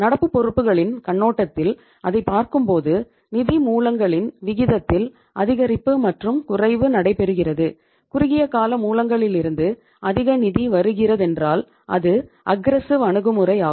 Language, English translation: Tamil, And when you see it from the perspective of the current liabilities an increase and decrease in the proportion of the sources of funds; if more funds are coming from short term sources say we have seen the aggressive approach